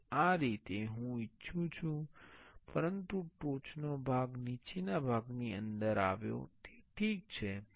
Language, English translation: Gujarati, Now, this is the way I wanted, but the top part came inside the bottom part, it is ok